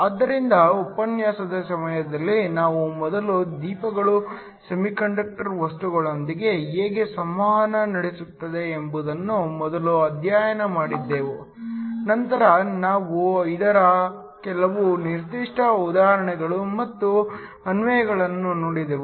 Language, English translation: Kannada, So, during the course of the lecture we first studied how generally lights interact with semiconductor materials, we then looked at some specific examples and applications of this